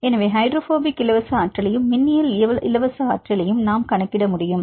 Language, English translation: Tamil, So, we can calculate the hydrophobic free energy and the electrostatic free energy